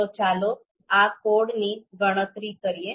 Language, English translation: Gujarati, So let’s compute this code